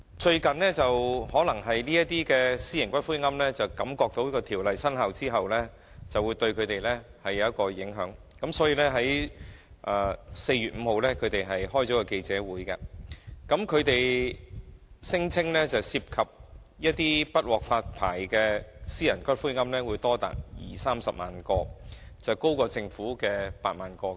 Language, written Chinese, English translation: Cantonese, 最近，由於一些私營龕場的經營者預計《條例草案》生效後會對他們構成影響，於是便在4月5日召開記者會，聲稱不獲發牌的私營龕場的龕位將多達二三十萬個，高於政府估計的8萬個。, Recently as some private columbaria operators anticipated that they might be affected upon the commencement of the Bill they held a press conference on 5 April claiming that as many as 200 000 to 300 000 niches in private columbaria might not be granted license which was higher than 80 000 as predicted by the Government